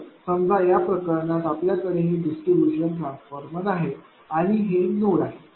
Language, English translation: Marathi, So, in this case suppose you have this is a distribution transformer is a this is your node